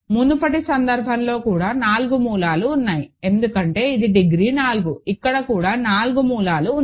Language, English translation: Telugu, In the earlier case also there are 4 roots because, it is degree 4 here also there are 4 roots